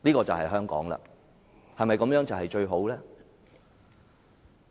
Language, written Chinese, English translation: Cantonese, 這對香港是否最好呢？, Will this be the best option for Hong Kong?